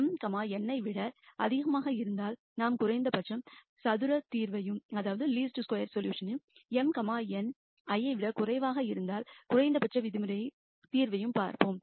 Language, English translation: Tamil, And if m is greater than n we look at a least square solution and if m is less than n then we look at a least norm solution